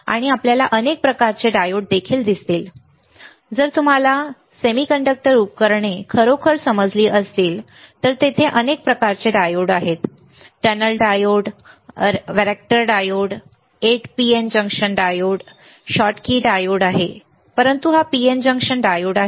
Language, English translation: Marathi, And we will also see several kind of diodes, if you if you really understand semiconductor devices then there are several kind of diodes tunnel diode, where vector diode 8 pn junction diode schottky diode so, but this is the PN junction diode